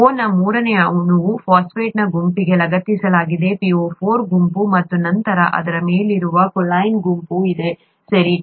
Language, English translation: Kannada, The third molecule of O is attached to a phosphate group, ‘PO4 ’group, and then there is a choline group that is on top of that, okay